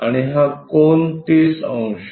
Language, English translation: Marathi, And, this angle 30 degrees